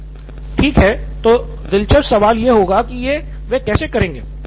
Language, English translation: Hindi, Okay, interesting question would be, how will they do that